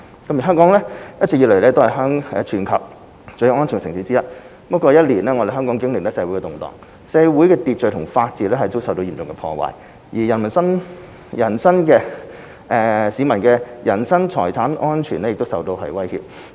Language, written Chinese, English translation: Cantonese, 三香港長期以來是全球最安全的城市之一，過去一年多，香港經歷社會動盪，社會秩序和法治遭到嚴重破壞，而市民人身和財產安全亦受到威脅。, 3 Hong Kong has long been one of the safest cities in the world . In the past year or so Hong Kong has experienced social unrest severely damaging social order and the rule of law and posing threats to peoples lives and properties